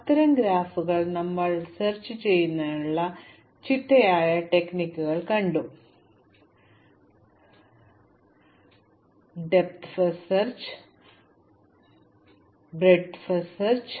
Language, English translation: Malayalam, We have seen two systematic strategies to explore such graphs, breadth first search and depth first search